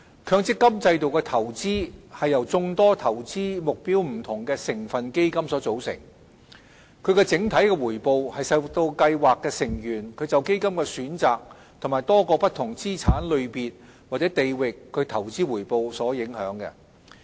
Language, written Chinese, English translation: Cantonese, 強積金制度的投資是由眾多投資目標不同的成分基金組成，整體回報受到計劃成員就基金的選擇及多個不同資產類別或地域的投資回報所影響。, The investments of the MPF System comprise a range of constituent funds with different investment objectives . The system - wide return is driven by scheme members choices of funds and the resulting investment returns across many different asset classes or regions